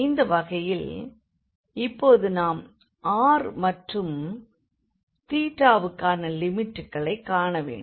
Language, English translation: Tamil, So, in this case, now we have to see the limits for R and also for theta